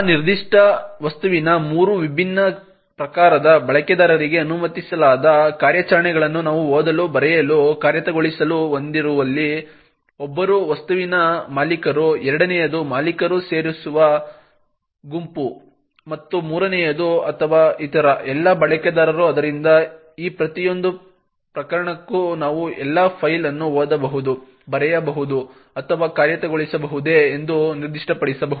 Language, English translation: Kannada, Where we have the read, write, execute operations that are permitted on three different types of users of that particular object, one is the owner of the object, second is the group which the owner belongs to and the third or are all the other users, so for each of these cases we can specify whether the file can be read, written to or executed